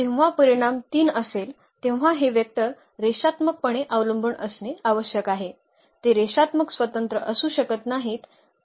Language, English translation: Marathi, So, when the dimension is 3 these vectors must be linearly dependent, they cannot be linearly independent